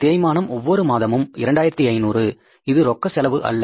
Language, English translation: Tamil, Depreciation is 2,500 monthly which is not a cash expense